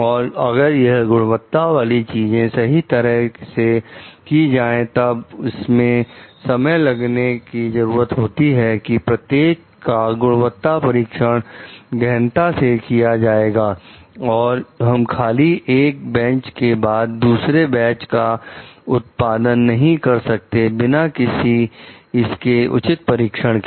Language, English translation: Hindi, And if these quality things needs to be done properly, then it requires time to be invested for going through the details of quality checks of each and we cannot like go on producing like batches after batches without doing a proper testing of it